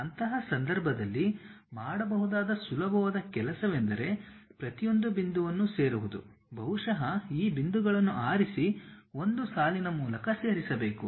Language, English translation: Kannada, In that case the easiest thing what one can do is join each and every point, perhaps pick these points join it by a line